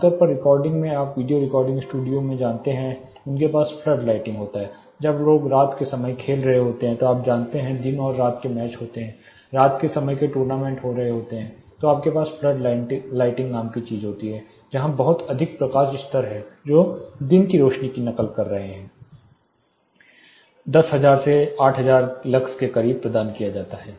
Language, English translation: Hindi, Typically in recording you know video recording studios they have something like flood lighting close to, when people are playing in the night time when you know day and night matches are happening, night time tournaments are happening you have something called flood lighting where very high light levels which is mimicking the daylight more than 8000 lux close to 10,000 lux is provided